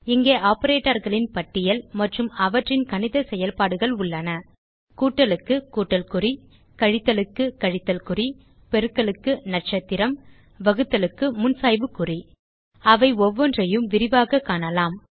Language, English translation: Tamil, Here is a list of operators and the mathematical operations they perform plus symbol for addition minus for subtraction asterisk for multiplication and slash for division We shall look at each of them in detail